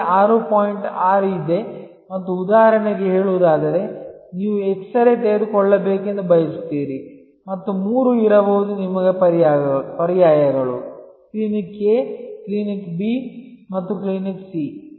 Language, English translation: Kannada, 6 and that shows that for say for example, you want an x ray taken and there can be three alternatives to you, Clinic A, Clinic B and Clinic C